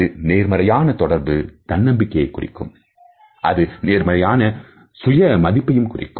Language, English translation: Tamil, A positive eye contact suggest a confident person, it also suggest a positive sense of self worth